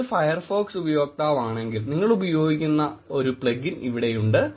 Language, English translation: Malayalam, And here is also a plugin that you can use if you are a Firefox user